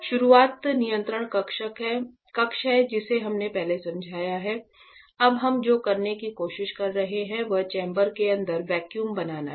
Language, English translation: Hindi, So, the start of this is the control panel we have explained before; now what we are trying to do is to create the vacuum inside the chamber